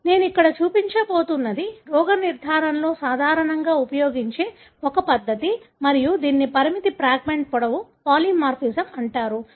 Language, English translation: Telugu, So, what I am going to show here is a method that more commonly used in diagnosis and this is called as restriction fragment length polymorphism